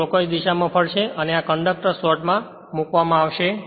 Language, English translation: Gujarati, So, it will rotate in the clockwise direction and this conductors are placed in a slots